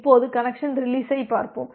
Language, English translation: Tamil, Now, let us look into the connection release